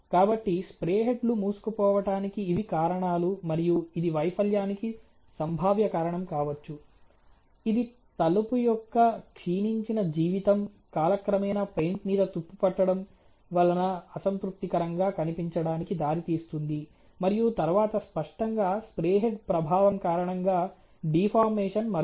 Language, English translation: Telugu, So, these are reasons why the spray heads would get clogged and that may be a potential cause for the failure which is the deterred life of the door leading to unsatisfactory appearance due to rust to paint over time etcetera, and then obviously, this spray head deformed due to impact is another